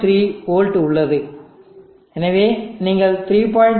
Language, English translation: Tamil, 3v and therefore you made a 3